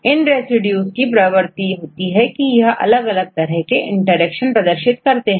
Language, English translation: Hindi, So, if these residues they have the tendency to form various types of interactions